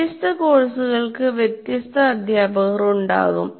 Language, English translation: Malayalam, And then you have different teachers for different courses